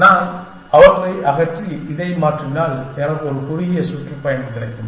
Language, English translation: Tamil, If I remove them and replace them with this, I will get a shorter tour